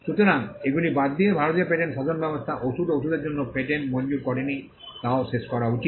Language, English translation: Bengali, So, apart from this, the fact that the Indian patent regime did not grant product patents for drugs and pharmaceuticals was also to be done away with